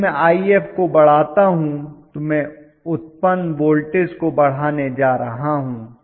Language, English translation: Hindi, If I increase I f, I am going to increase the generated voltage